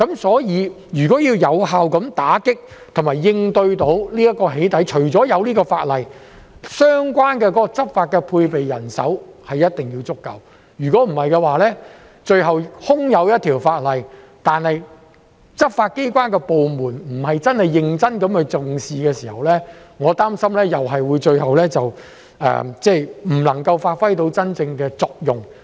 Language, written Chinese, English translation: Cantonese, 所以，如果要有效打擊和應對"起底"行為，除了要有這項法例，相關執法工作所配備的人手也一定要足夠，否則，空有這一項法例，但執法機關部門卻不是認真重視的話，我擔心有關法例最後又是無法發揮真正作用。, So to effectively combat and tackle doxxing acts there must be adequate manpower for the relevant law enforcement work in addition to this piece of legislation . Otherwise this will just be a futile piece of legislation . Anyway without the law enforcement departments taking it seriously I am worried that the relevant legislation will end up failing to serve its purpose